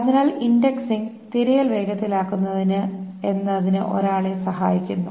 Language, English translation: Malayalam, So what does indexing help one do is to make the search faster